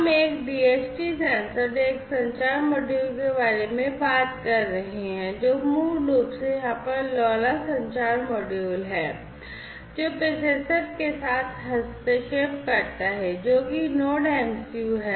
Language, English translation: Hindi, So, we are talking about a DHT sensor and a communication module, which is basically the LoRa communication model over here interfaced with the processor, which is the NodeMCU